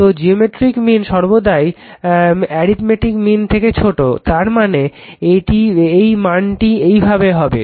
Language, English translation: Bengali, So, geometric mean is always less than arithmetic mean; that means, this value this is the way